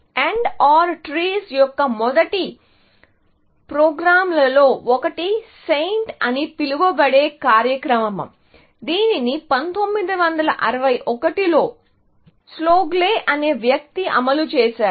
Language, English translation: Telugu, One of the first programs to look at that AND OR trees, was the program called SAINT, which was implemented by a guy called Slagle in 1961